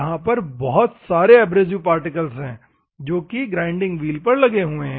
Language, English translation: Hindi, So, there are multiple abrasive particles that are there on a grinding wheel